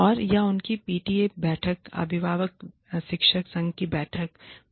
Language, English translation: Hindi, And or, they have a PTA meeting, parent teacher association meeting